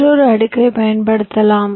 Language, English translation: Tamil, so what you can do, you can use another layer